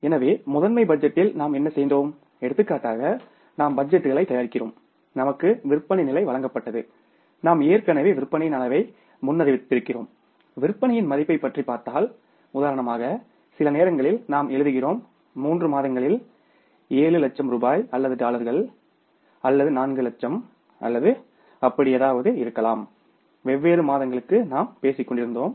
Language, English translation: Tamil, So, we will be going ahead today with the say a detailed discussion on flexible budgets so why we need the flexible budgets because of the limitations of the master budget so in the master budget for example what we did say we were preparing the budgets and we were given the sales level we have already forecasted the level of sales and if you talk about the value of the sales sometime we were writing that say for example in the months, we have the sales of say 7 lakh rupees or dollars or maybe 4 lakhs or maybe something like that for the different months we were talking about